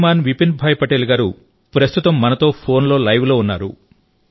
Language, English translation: Telugu, Shriman Vipinbhai Patel is at the moment with us on the phone line